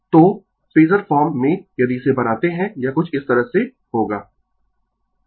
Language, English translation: Hindi, So, in the Phasor form if, you make it , it will be something like this